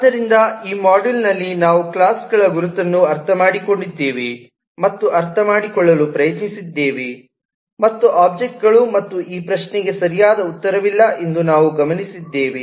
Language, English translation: Kannada, so in this module we have understood and tried to understand the identification of classes and objects and we have observed that there is no right answer to this question